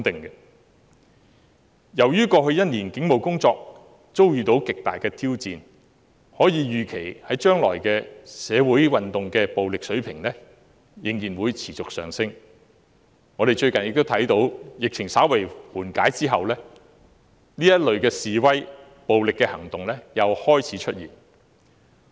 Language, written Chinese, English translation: Cantonese, 由於過去1年警務工作遭到極大挑戰，可以預期未來社會運動的暴力程度仍然會持續上升，我們亦看到最近疫情稍為緩解，這類示威和暴力行動又開始出現。, While the Police have encountered tremendous challenge in the past year it can be expected that the violence level of future social movements will continue to escalate . We can also see that protests and violent acts have resurfaced as the epidemic has begun to ease recently